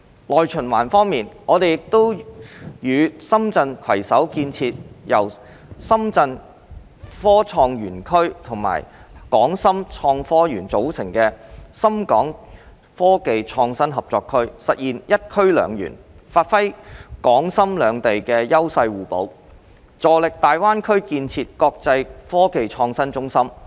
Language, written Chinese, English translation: Cantonese, 內循環方面，我們亦與深圳市攜手建設由深圳科創園區和港深創科園組成的深港科技創新合作區，實現"一區兩園"，發揮港深兩地優勢互補，助力大灣區建設國際科技創新中心。, On domestic circulation we are also working with the Shenzhen Municipal Government to build the Shenzhen - Hong Kong Innovation and Technology Cooperation Zone which comprises the Shenzhen Innovation and Technology Zone and HSITP so as to establish one zone two parks and leverage the complementary advantages of both Hong Kong and Shenzhen with a view to developing GBA into an international IT hub